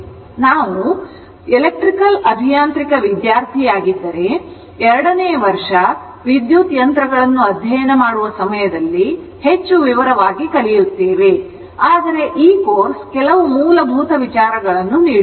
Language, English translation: Kannada, So, later when we learn your much more thing in the if you are an electrical engineering student, when you will go for your second year when you will study electrical machines, at that time you will learn much in detail right, but this course just to give you some basic ideas